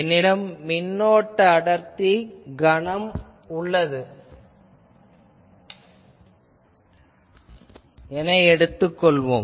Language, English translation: Tamil, So, let me take that I have a current density volume say